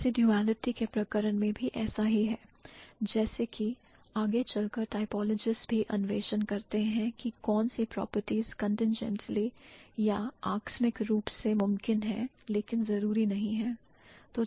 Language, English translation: Hindi, So, is the case with residuality like eventually typologists also explore which properties are contingently possible but not necessary